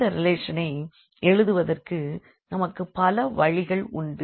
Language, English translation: Tamil, So, there we can have now many ways to write down these relations